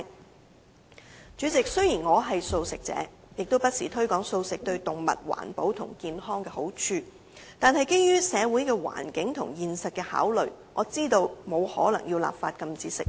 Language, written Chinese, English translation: Cantonese, 代理主席，雖然我是素食者，亦不時推廣素食對動物、環保和健康的好處，但基於社會的環境和現實的考慮，我知道不可能立法禁止吃肉。, Deputy President I am a vegetarian and often promote the advantages of a vegan diet to animals environmental protection and health . And yet considering the social environment and the reality I understand that it is impossible to legislate to prohibit meat - eating